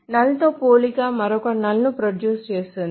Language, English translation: Telugu, So a comparison with a null generates another null